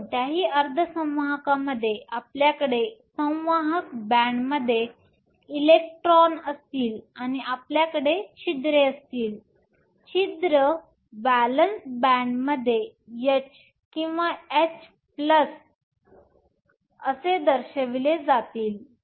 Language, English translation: Marathi, So, in any semiconductor you will have electrons in the conduction band, and you have holes, holes are denoted h or h plus in the valence band